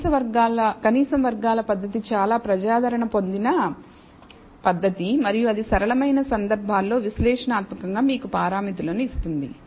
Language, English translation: Telugu, So, the method of least squares is a very popular technique and it gives you parameters analytically for the simplest cases